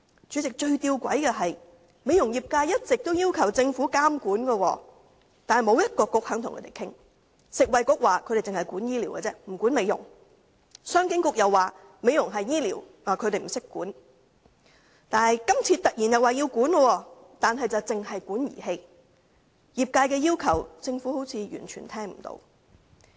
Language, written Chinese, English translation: Cantonese, 主席，最吊詭的是，美容業界一直要求政府監管，但沒有一個政策局願意與他們討論，食物及衞生局說他們只管醫療，不管美容；商務及經濟發展局說美容屬於醫療範疇，他們不懂得規管。, President the greatest absurdity is that the beauty industry had always requested regulation by the Government but no Policy Bureau was willing to discuss with them . The Food and Health Bureau said it only dealt with medical practices . Aesthetic practices were not its business